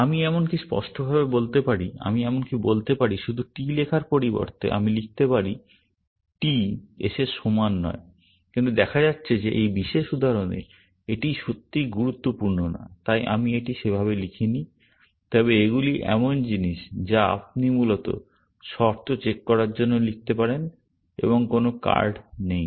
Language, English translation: Bengali, I can even, to be explicit, I can even say, instead of writing just T, I can write t not equal to s, but it turns out that in this particular example, that does not really matter; so, I have not written it like that, but those are the kind of things you can write as condition checks, essentially, and no card